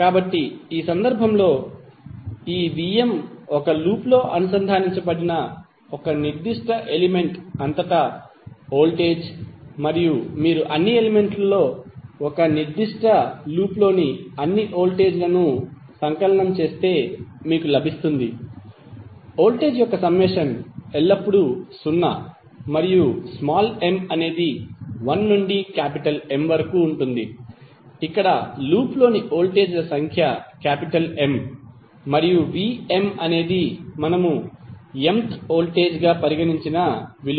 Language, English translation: Telugu, So, in this case, this V¬m¬ is the voltage across a particular element connected in a loop and if you sum up all the voltages in a particular loop across all the elements then you will get, the summation of voltage would always be 0 and m where is from 1 to M, where M in number of voltages in the loop and V¬m¬ ¬that we have considered as the mth voltage